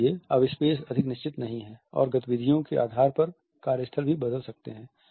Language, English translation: Hindi, So, the space is no more fixed and the workstations may also change on the basis of the activities